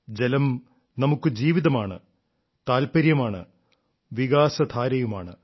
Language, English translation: Malayalam, For us, water is life; faith too and the flow of development as well